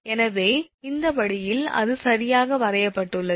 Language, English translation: Tamil, So, this way it has been drawn right